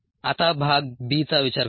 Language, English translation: Marathi, now let us consider part b